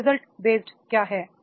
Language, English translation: Hindi, What will be the result based